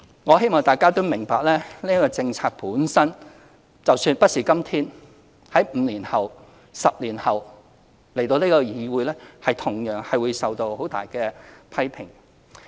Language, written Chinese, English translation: Cantonese, 我希望大家明白，即使我們不是在今天，而是在5年後、10年後向議會提出這項政策，我們同樣會受到很大的批評。, I hope Members will understand that even if this policy is not introduced to the legislature today but five years or 10 years later we will still come under severe criticisms